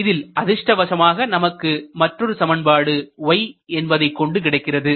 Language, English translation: Tamil, Fortunately, you will also get another equation involving y